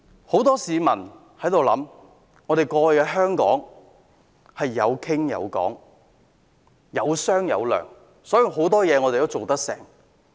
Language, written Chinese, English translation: Cantonese, 很多市民會想到，過去香港有商有量，故此很多事也能成功。, Many people can recollect that as we were able to engage in negotiations in Hong Kong we succeeded in doing many things in the past